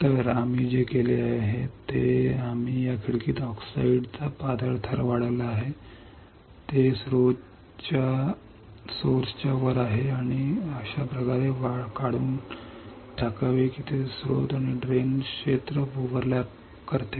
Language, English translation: Marathi, So, what we are we have done we have grown a thin layer of oxide into this window, that is over the source and drain such that it overlaps region of source and drain